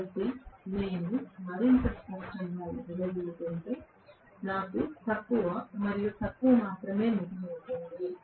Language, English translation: Telugu, So, if I dissipate more and more obviously, I will have only less and less left over Right